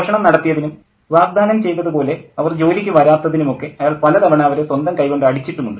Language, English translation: Malayalam, A number of times he had beaten them with his own hands for theft or for not coming to work as they had promised